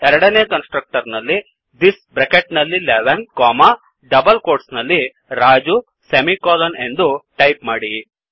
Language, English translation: Kannada, Inside the second constructor type this within brackets 11 comma within double quotes Raju semicolon